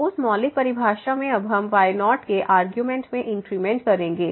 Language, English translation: Hindi, So, in that fundamental definition now we will make an increment in arguments